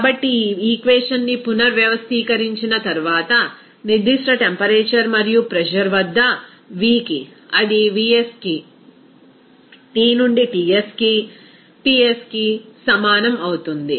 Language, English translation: Telugu, So, after rearranging of this equation, we can then express that to V at a particular temperature and pressure, it will be is equal to Vs into T by Ts into Ps by P